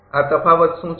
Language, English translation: Gujarati, What these difference is